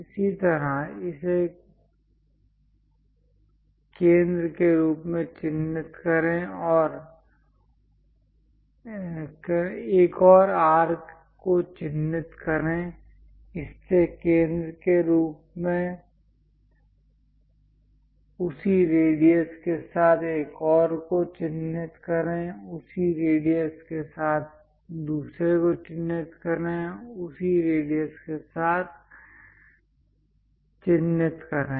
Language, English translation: Hindi, Similarly, mark from this one as centre; mark one more arc, from this one as centre with the same radius mark other one, with the same radius mark other one, with the same radius mark other one